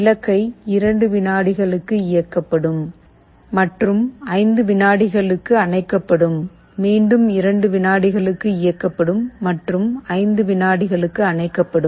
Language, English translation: Tamil, You see what happens; the bulb will switch ON for 2 seconds and will get switched OFF for 5 seconds, it is switching ON 2 seconds switch OFF for 5 seconds again, it switches ON for 2 seconds again switches OFF for 5 seconds